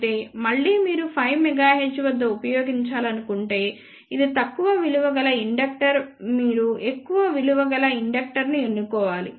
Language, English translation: Telugu, However, again if you want to use at 5 megahertz then this inductor is small you have to choose larger value of inductor